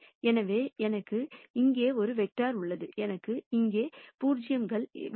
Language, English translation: Tamil, So, I have a vector here and I want 0s here